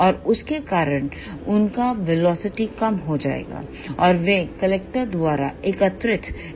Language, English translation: Hindi, And because of that their velocity will be reduced, and they will be collected by the collector